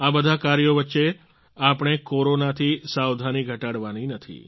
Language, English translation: Gujarati, In the midst of all these, we should not lower our guard against Corona